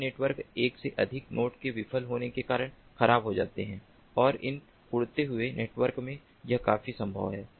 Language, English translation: Hindi, these networks are prone to malfunctioning due to one or more nodes failing, and this is quite possible in these flying networks